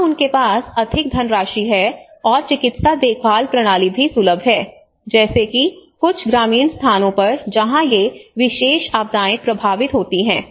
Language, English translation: Hindi, Here they have more funds and also the medical care systems are accessible like in some of the rural places where these particular disasters to gets affected